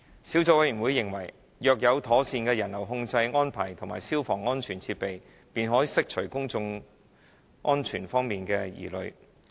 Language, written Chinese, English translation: Cantonese, 小組委員會認為，若有妥善的人流控制安排和消防安全設施，便可釋除有關公眾安全方面的疑慮。, Subcommittee members consider that with proper crowd control and fire safety measures in place concerns about public safety can be addressed